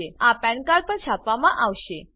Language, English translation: Gujarati, This will be printed on the PAN card